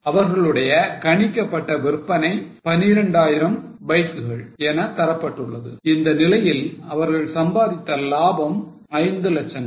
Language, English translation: Tamil, Their estimated sales were given as 12,000 bikes at which level they had earned a profit of Philex